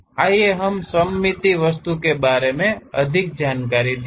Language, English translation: Hindi, Let us look at more details about the symmetric object